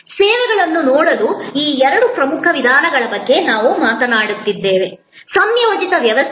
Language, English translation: Kannada, We then talked about these two important ways of looking at services, a composite system